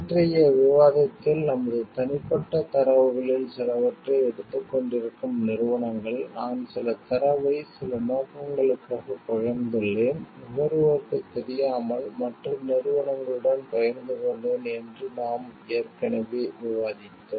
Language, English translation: Tamil, We have already discussed in yesterdays discussion like how companies, who may be taking some of our personal data, with whom we have shared some data for some purposes, sharing it with other companies with the without the knowledge of the consumers